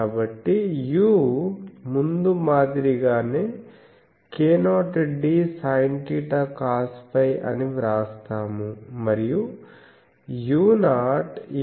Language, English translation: Telugu, So, u as before we will write as k 0 d sin theta cos phi, and u 0 is alpha d